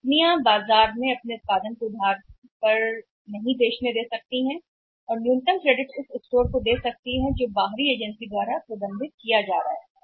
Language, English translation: Hindi, Company can afford to not to sell after their production in the market on the credit or to give the minimum credit is the store is being managed by some some outside agency